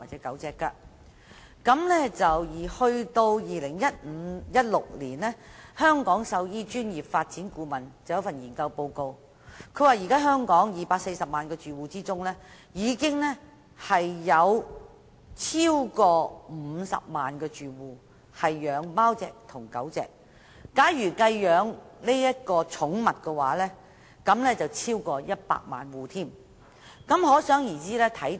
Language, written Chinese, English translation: Cantonese, 到2015年或2016年，有關香港獸醫專業發展的顧問研究報告指出，在香港240萬個住戶中，有超過50萬個住戶飼養貓或狗，假如連飼養其他寵物都計算在內，香港有超過100萬個住戶飼養寵物。, It was found that over 249 000 households kept dogs or cats . According to the Study on the Development of the Veterinary Profession in Hong Kong between 2015 and 2016 of the 2.4 million households in Hong Kong over 500 000 households kept dogs or cats and over 1 million households kept pets including animals other than dogs and cats